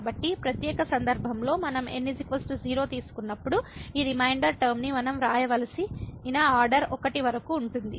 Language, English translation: Telugu, So, in the special case when we take is equal to 0 so that means, this up to the order one we have to write this reminder term